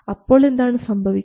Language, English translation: Malayalam, Now how does this work